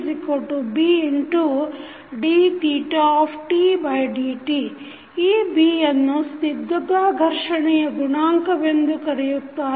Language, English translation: Kannada, This B is called a viscous friction coefficient